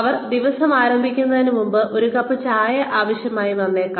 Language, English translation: Malayalam, May need a cup of tea, before they start the day